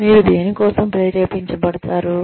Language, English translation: Telugu, What will you feel motivated for